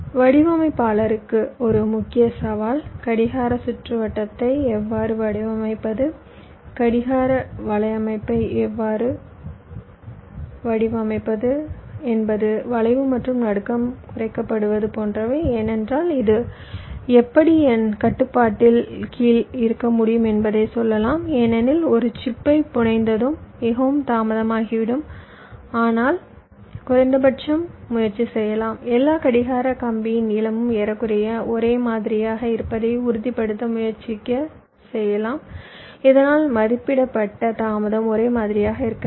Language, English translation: Tamil, so one of the main challenge for the designer is is how to design the clock circuit, how to design the clock network such that your skew and jitter are minimised, because you can say that well, skew and jitter, how this can be under my control, because once i fabricated a chip, i do not know how much delay it will be taking, but at least you can try